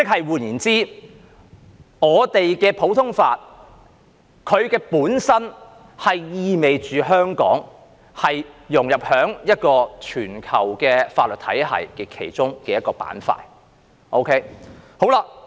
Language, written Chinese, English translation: Cantonese, 換言之，我們的普通法本身意味着香港融入於一個全球法律體系的其中一個板塊。, In other words our common law system itself is indicative of the integration of Hong Kong as a segment of a global legal system